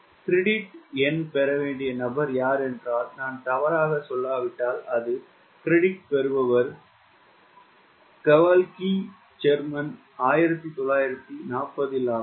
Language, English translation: Tamil, the person who should get credit number, who gets credit, if i am not wrong, is kawalki, german, nineteen forty